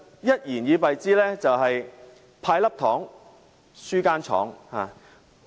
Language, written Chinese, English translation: Cantonese, 一言以敝之，這是"派粒糖，輸間廠"。, In a nutshell it is giving away a candy but losing a factory